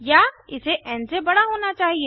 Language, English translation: Hindi, Or it must be greater than n